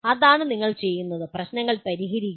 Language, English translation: Malayalam, That is what you are doing, solving problems